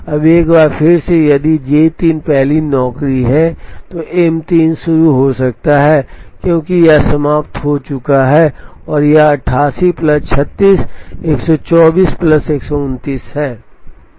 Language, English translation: Hindi, Now, once again if J 3 is the first job, earliest M 3 can begin is after it has finished this and this, which is 88 plus 36, 124 plus another 129